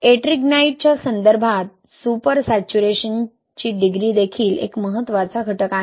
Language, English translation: Marathi, Degree of super saturation with respect to Ettringite is also an important factor